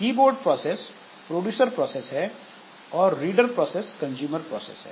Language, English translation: Hindi, The keyboard process is the producer process and the reader process is the consumer process